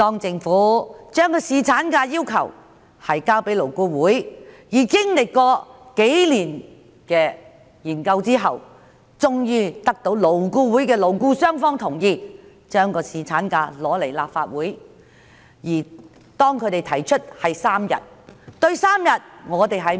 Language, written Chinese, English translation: Cantonese, 政府將侍產假方案提交勞工顧問委員會，而經歷數年研究後，終於得到勞顧會的勞資雙方代表同意，將侍產假方案提交立法會。, The Government presented the proposal on paternity leave to the Labour Advisory Board LAB and after years of study the proposal was ultimately endorsed by both employer representatives and employee representatives of LAB and presented to the Legislative Council